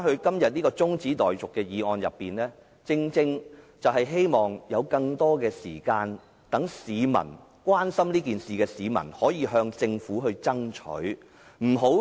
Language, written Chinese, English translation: Cantonese, 今天的中止待續議案，正正是讓關心此事的市民有更多時間向政府爭取。, Todays adjournment motion aims precisely at giving people who are concerned about the matter more time to strive for the cause with the Government